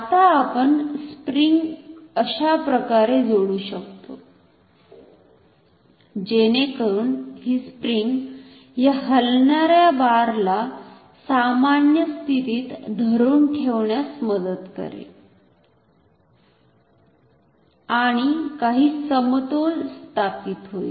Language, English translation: Marathi, Now, we can connect springs like this, so that the spring tries to hold this movable bar at its normal position and some equilibrium will be established